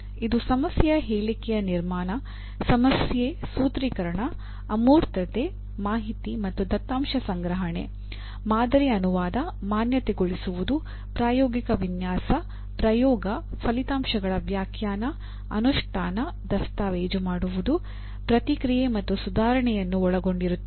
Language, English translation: Kannada, So once again to repeat, it involves problem statement construction, problem formulation, and abstraction, information and data collection, model translation, validation, experimental design, experimentation, interpretation of results, implementation, documentation, feedback, and improvement